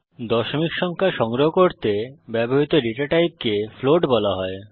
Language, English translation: Bengali, To store decimal numbers, we have to use float